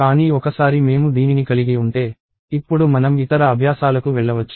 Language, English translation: Telugu, But once we have this, we can now move onto other exercises